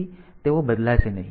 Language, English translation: Gujarati, So, they are not going to change